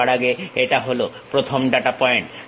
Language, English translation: Bengali, First of all this is the first data point